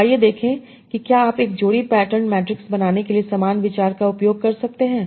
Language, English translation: Hindi, So let us see if we can use a similar idea for building a pair pattern matrix